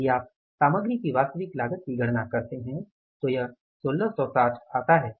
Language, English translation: Hindi, If you calculate the actual cost of material this will work out as 1 660